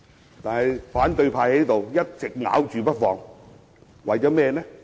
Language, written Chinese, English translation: Cantonese, 然而，反對派卻一直咬着不放。, And yet the opposition camp simply does not let him go